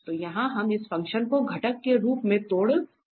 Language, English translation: Hindi, So, here we can break this function as in the component